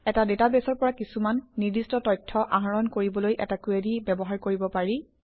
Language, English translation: Assamese, A Query can be used to get specific information from a database